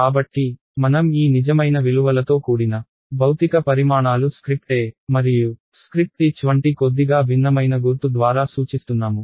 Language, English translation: Telugu, So, I am denoting these real valued physical quantities by this slightly different symbol like a script E and script H